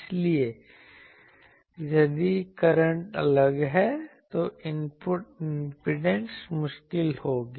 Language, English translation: Hindi, So, if the current is different then, the input impedance will be difficult